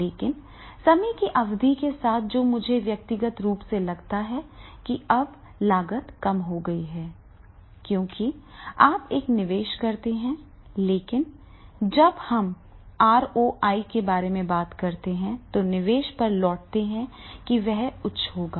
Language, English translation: Hindi, But with the period of time what I feel personally that is the now cost has reduced because you have to make an investment but when we talk about the ROI return on investment and then that will be high